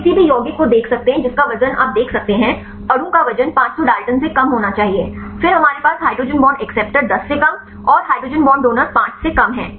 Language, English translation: Hindi, we can see the any compound you can see the weight, the molecule weight should be less than 500 Daltons, then we have the hydrogen bond acceptor the less than 10 and hydrogen bond donor less than 5